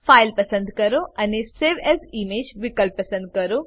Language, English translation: Gujarati, Select File and click on Save As Image option